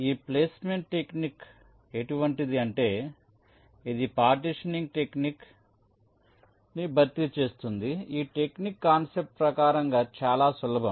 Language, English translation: Telugu, this is a placement technique which replaces partitioning technique, where the idea is very simple in concept